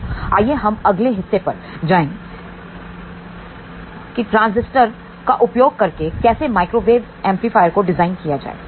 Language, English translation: Hindi, So, let us go to the next part how to design microwave amplifier using transistor